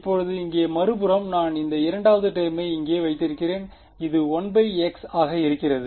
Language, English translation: Tamil, Now on the other hand over here I have this other this second term over here which is blowing up as 1 by x